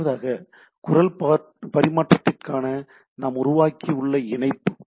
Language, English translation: Tamil, Secondly, what we have primarily developed for voice traffic